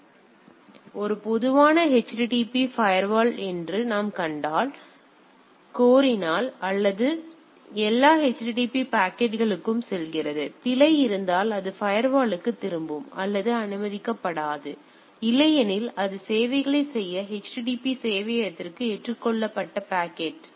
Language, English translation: Tamil, So, if we see that a typical HTTP firewall; so, if it request comes it goes to that all HTTP packets to this thing; if there is a error it goes to the return back to the firewall or it is not allowed otherwise it is accepted packet to the HTTP server to serve the things